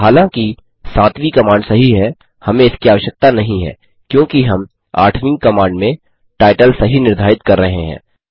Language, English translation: Hindi, The seventh command although is correct, we do not need it since we are setting the title correctly in the eighth command